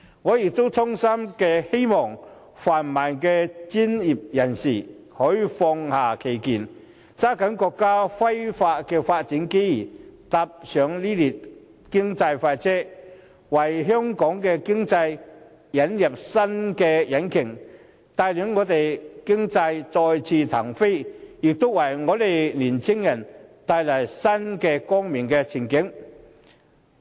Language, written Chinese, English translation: Cantonese, 我亦衷心希望泛民的專業人士可以放下成見，抓緊國家飛快的發展機遇，搭上這列經濟快車，為香港的經濟引入新引擎，帶領我們的經濟再次騰飛，為青年人帶來新的光明前景。, I also sincerely hope that the pan - democratic professionals will cast their prejudice seize this opportunity make available by the countrys rapid development to ride on this economic express train and bring a new engine to Hong Kongs economy so as to enable another economic take - off and bring new and bright prospects to the younger generations